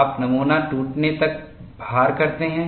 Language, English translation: Hindi, You do the loading, until the specimen breaks